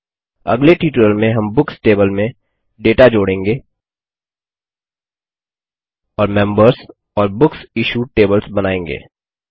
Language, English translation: Hindi, In the next tutorial, we will add data to the Books table and create the Members and BooksIssued tables